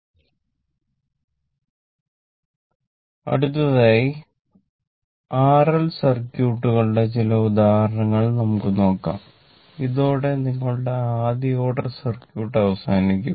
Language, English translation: Malayalam, So let us come to your next regarding RL circuits few examples 4 5 examples and with this your first order circuit will stop